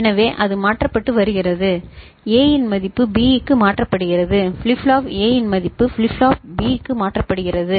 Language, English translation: Tamil, So, it is getting shifted, value of A getting shifted to B ok, flip flop A value is getting shifted to flip flop B